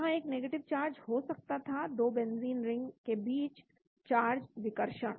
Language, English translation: Hindi, There could be a negative charge, charge repulsion between 2 benzene ring